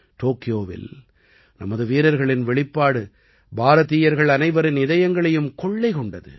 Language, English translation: Tamil, The performance of our players in Tokyo had won the heart of every Indian